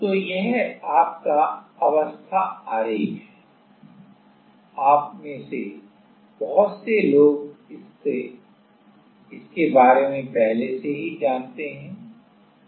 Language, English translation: Hindi, So, this is your phase diagram many of you are already aware of that